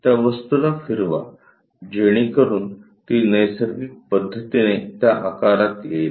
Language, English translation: Marathi, So, rotate that object so that it comes out to be in that shape, in the natural method